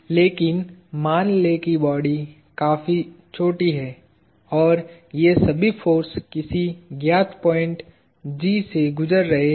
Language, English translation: Hindi, But, let us assume the body is quite small and that; all these forces are passing through some known point G